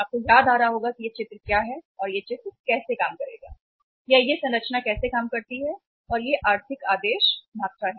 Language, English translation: Hindi, You must be uh remembering it what is this picture and how this picture will work or how this structure works and this is economic order quantity